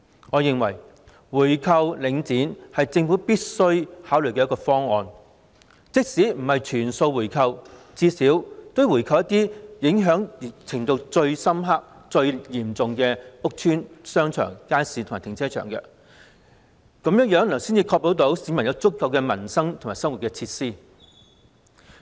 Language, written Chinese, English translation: Cantonese, 我認為回購領展是政府必須考慮的方案，即使不是全數回購，最低限度也要回購一些受影響最嚴重的屋邨、商場、街市和停車場，這樣才能確保市民有足夠的民生和生活設施。, I think buying back Link REIT is an option that warrants consideration by the Government . Even if the Government does not buy back all the assets at least it should buy back some housing estates shopping arcades markets and car parks that are most seriously affected for only in this way can the Government ensure the provision of adequate facilities for the livelihood and living of the public